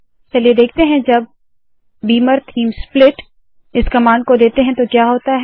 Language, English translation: Hindi, Lets see what happens when I add this command beamer theme split